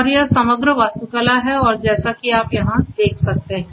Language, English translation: Hindi, And this is this overall architecture and as you can see over here